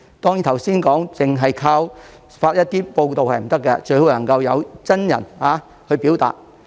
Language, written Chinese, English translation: Cantonese, 當然，正如剛才所說，政府不能單靠發文回應，最好能夠派員親身表達。, Of course as I said earlier the Government cannot just respond by issuing statements and it is better to send its officials to express the views in person